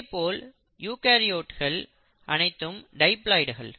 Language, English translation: Tamil, And then you have the eukaryotes